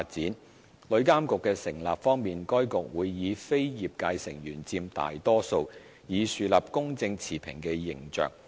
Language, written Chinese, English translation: Cantonese, 在旅監局的成立方面，該局會由非業界成員佔大多數，以樹立公正持平的形象。, On the composition of TIA non - travel trade members will be in the majority to establish an impartial image